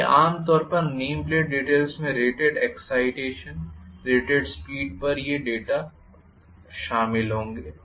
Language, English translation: Hindi, So, generally the name plate details will contain all these data at rated excitation at rated speed